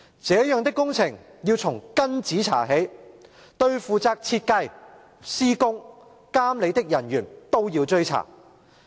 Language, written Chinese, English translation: Cantonese, 這樣的工程要從根子查起，對負責設計、施工、監理的人員都要追查。, As regards such projects we must get to the root of the problem and those who are responsible for design construction and supervision shall all be investigated